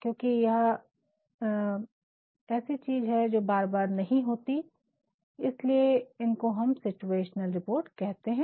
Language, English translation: Hindi, Now, these things since they are not very frequent that is why we call it situational reports